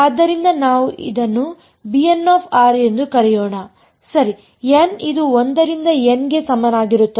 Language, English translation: Kannada, So, let us call them say b n of r alright n is equal to 1 to N ok